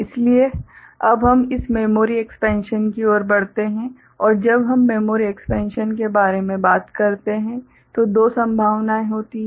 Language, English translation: Hindi, So, we now move to this memory expansion and when we talk about memory expansion there are two possibilities